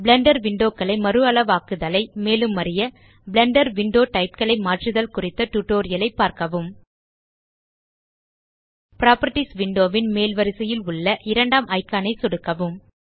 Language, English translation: Tamil, To learn how to resize the Blender windows see our tutorial How to Change Window Types in Blender Left click the second icon at the top row of the Properties window